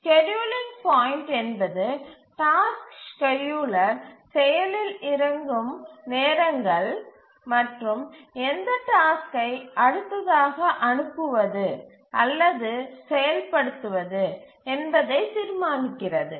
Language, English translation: Tamil, The scheduling point are the times at which the task scheduler becomes active, starts running and decides which tasks to dispatch or start execution next